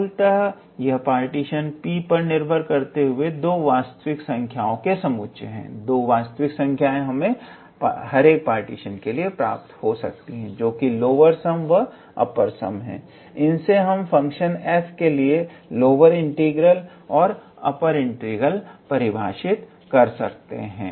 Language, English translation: Hindi, So, these are basically two sets of real numbers depending on the partition P and based on those two real numbers, which is lower sum and upper sum we can be able to define the lower integral and the upper integral for the function f